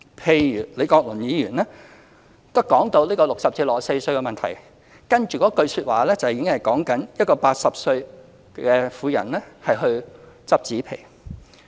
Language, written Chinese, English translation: Cantonese, 譬如當李國麟議員談到這個60歲至64歲的問題時，接着一句說話已經在說一個80歲的婦人拾紙皮。, For instance when Prof Joseph LEE spoke on the issue concerning people aged between 60 and 64 he turned to the case of an old woman aged 80 collecting cardboards in his next sentence